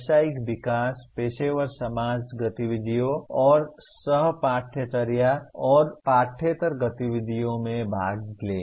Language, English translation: Hindi, Participate in professional development, professional society activities and co curricular and extra curricular activities